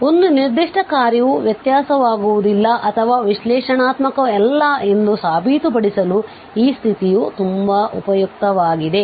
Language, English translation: Kannada, So, this condition will be very useful to prove that a given function is not differentiable or it is not an analytic